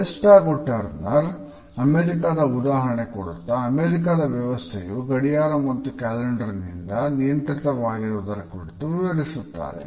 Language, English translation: Kannada, A West and Turner have quoted the example of the USA and have talked about how the American society is being governed by the clock and calendar